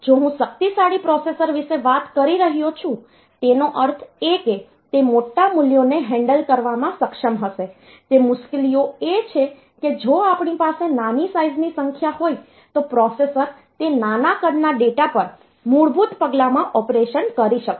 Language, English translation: Gujarati, Or if so, if I am talking about powerful processor; that means, it will be able to handle larger values the difficulties that if you are having smaller sized numbers then in a basic step the processor will be able to do operation on those smaller size data